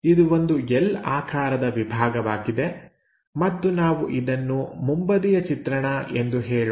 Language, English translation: Kannada, A block in L shape and we would like to say this one as the front view